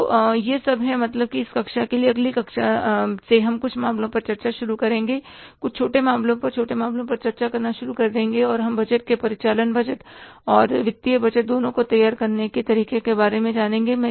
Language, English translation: Hindi, So, this all is for this class, from the next class onwards we will start discussing some cases, some small cases, many cases and we will learn about how to prepare the budgets, both operating budget and the financial budgets